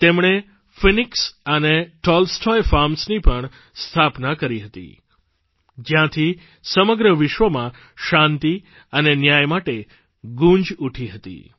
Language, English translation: Gujarati, He also founded the Phoenix and Tolstoy Farms, from where the demand for peace and justice echoed to the whole world